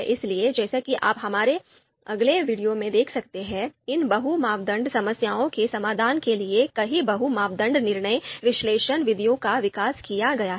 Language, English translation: Hindi, So as you can see in our next point, multi criteria decision analysis methods, a number a number of them had been developed to solve these multi criteria problems